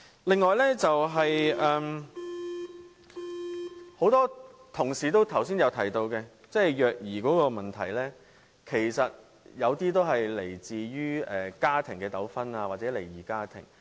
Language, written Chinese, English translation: Cantonese, 另外，剛才很多同事提到虐兒問題，其實有些個案是源於家庭糾紛或離異家庭。, Child abuse is another issue mentioned by many colleagues earlier . In fact some cases stemmed from family disputes or split families